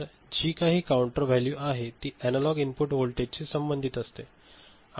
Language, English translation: Marathi, So, whatever is the counter value is something which is related to the analog input voltage